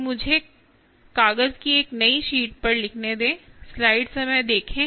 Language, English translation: Hindi, so let me ah write on a fresh sheet of paper tip mass